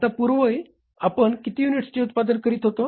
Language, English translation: Marathi, Earlier we were producing how many units